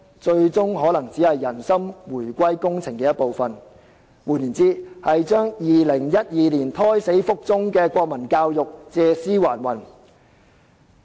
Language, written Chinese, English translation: Cantonese, 這最終可能只是"人心回歸工程"的一部分，換言之，讓2012年胎死腹中的國民教育借屍還魂。, This may eventually become a part of the heart - winning project . In other words the reincarnation of national education that was stillborn in 2012